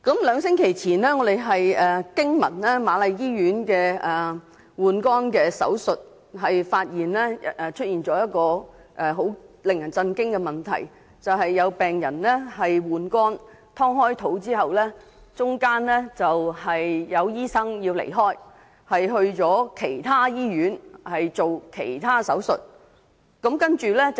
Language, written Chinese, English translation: Cantonese, 兩星期前，我們驚聞瑪麗醫院的換肝手術出現了令人震驚的情況，有病人進行換肝手術被剖腹後，醫生需要到其他醫院進行其他手術。, We were shocked to learn that an alarming incident happened two weeks ago during a liver transplant surgery in The Queen Mary Hospital . The surgeon was required to perform another surgery in another hospital midway into a liver transplant with the patients abdomen having been cut open